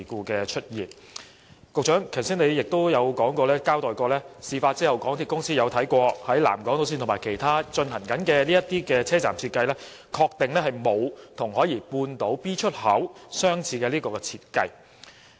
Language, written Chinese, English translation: Cantonese, 局長剛才亦交代過，港鐵公司在事發後曾檢視南港島線和其他正在進行的車站設計，確定沒有與海怡半島站 B 出口相似的設計。, He also says that after the incident MTRCL has reviewed the station design of nearby underground pipes of SIL and other stations under construction and confirmed that their designs are different from that of the EntranceExit B of South Horizons Station